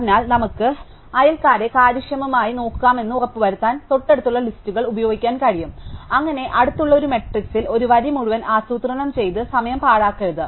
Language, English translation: Malayalam, So, to make sure, that we can look up the neighbours efficiently, we can use adjacency lists so that we do not waste time planning an entire row on adjacency matrix